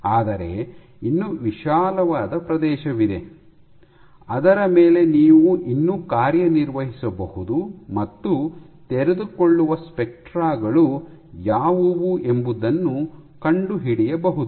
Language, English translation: Kannada, But still there is a broad area over which you can still operate and find out what are the unfolding spectra